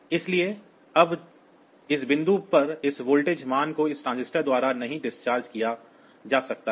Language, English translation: Hindi, So, now this voltage value at this point cannot be discharged by this transistor